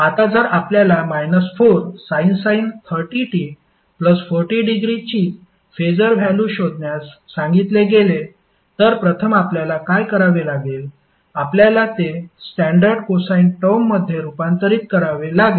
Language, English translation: Marathi, Now if you are asked to find out the phaser value of minus 4 sine 30 t plus 40 degree, first what you have to do, you have to convert it into a standard cosine term